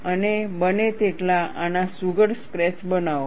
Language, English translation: Gujarati, And make neat sketches of this, as much as possible